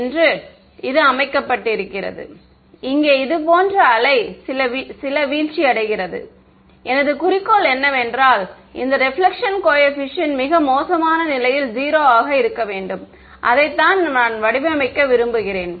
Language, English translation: Tamil, So, that is the set up and I have some wave falling like this getting reflected over here and my goal is that this reflection coefficient should be 0 in the worst case right that is what I want to design